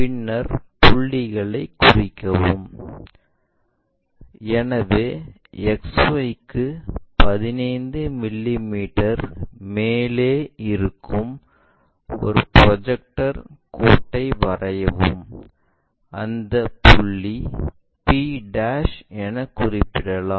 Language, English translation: Tamil, Then mark points, so draw a projector line which is 15 mm above XY, locate that point p' lower case letter